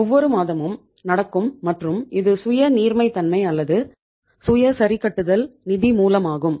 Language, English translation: Tamil, It happens every month and itís a self liquidating or the self adjusting source of finance